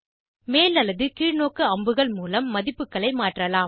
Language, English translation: Tamil, Values can be changed by using the up or down arrows